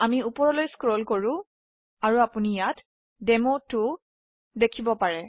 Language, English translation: Assamese, We scroll up as you can see here is demo2